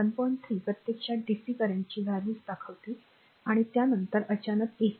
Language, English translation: Marathi, 3 actually shows the values of a dc current and then sine sudden ac current